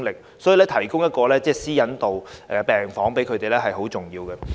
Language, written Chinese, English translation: Cantonese, 所以，為受害人提供一個有私隱度的病房很重要。, It is thus very important to provide a separate ward with a high degree of privacy to the victims